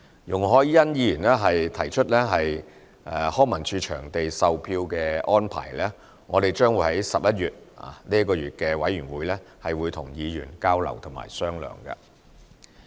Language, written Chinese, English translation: Cantonese, 容海恩議員提出康文署場地售票的安排，我們將會在11月，與議員進行交流及商量。, Ms YUNG Hoi - yan has raised the issue of ticketing arrangement for LCSD venues . We will exchange views and discuss with Members in November